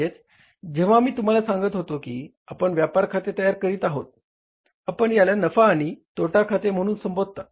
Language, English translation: Marathi, So it means when I was telling you we are preparing a trading account, we call it as trading and profit and loss account